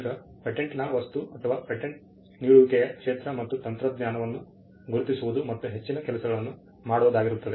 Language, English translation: Kannada, Now, the object of a patent or the grant of a patent could be to identify area and technology and to do further work